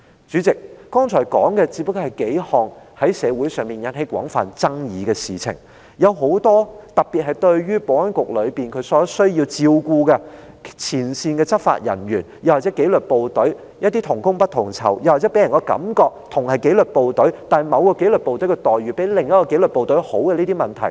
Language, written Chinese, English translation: Cantonese, 主席，剛才提到的不過是數項在社會上引起廣泛爭議的事情，其他有待特別關注的問題，包括保安局內部需要照顧的前線執法人員，又或是紀律部隊同工不同酬的問題：大家同屬紀律部隊，但某個紀律部隊的待遇卻比另一個紀律部隊好這些問題。, Chairman what have just been mentioned are just a few things that have triggered widespread controversy in the community . There are other issues that require special attention including such issues as frontline enforcement officers in need of care within the Security Bureau or unequal pay for equal work in the disciplined services namely the preferential treatment of a certain disciplinary force over another